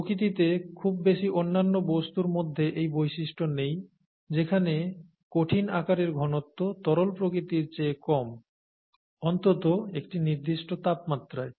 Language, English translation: Bengali, Not many other substances in nature have this property where the solid is, solid form is less dense than the liquid form, at least at certain temperatures